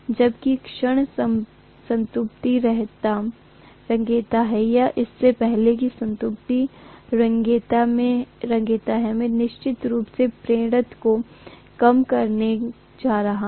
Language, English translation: Hindi, Whereas, the moment saturation creeps in or even before the saturation creeps in, I am going to have the inductance definitely decreasing